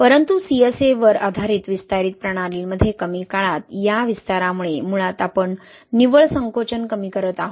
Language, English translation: Marathi, But in the expansive systems based on CSA, because of this expansion at early age, basically we are reducing the net shrinkage, right